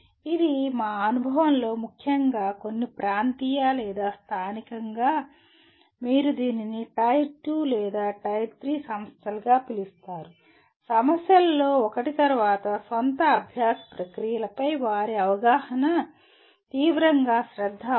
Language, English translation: Telugu, This we found in our experience especially in some of the regional or local what do you call it tier 2 or tier 3 institutions one of the problems is their understanding of their own learning processes can be seriously what requires attention